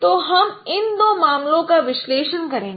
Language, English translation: Hindi, So we'll be considering to analyze these two cases